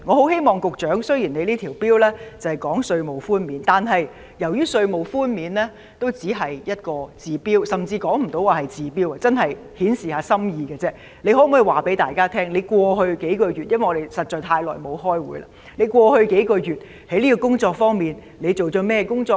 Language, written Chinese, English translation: Cantonese, 雖然局長提出的這項《條例草案》只關乎稅務寬免，但稅務寬免只能治標，甚至連治標也說不上，只可算稍為顯示心意，局長可否談談——因為我們實在太長時間沒有開會——你在過去數月就這方面做了甚麼工作。, This Bill proposed by the Secretary concerns tax reductions only but tax reductions can address only the symptoms or worse still they cannot even address the symptoms and can only be taken as a gesture of goodwill made by the Government . Can the Secretary tell us―as no meeting has been held for too long indeed―what he has done in this respect over the past few months?